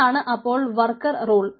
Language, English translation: Malayalam, so this is the worker rule